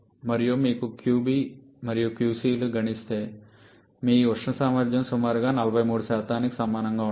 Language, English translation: Telugu, And if you check calculate qB and qC your thermal efficiency will be coming to be equal to 43% approximately